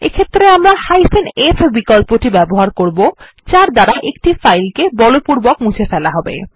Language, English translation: Bengali, In this case we have the f option which can be used to force delete a file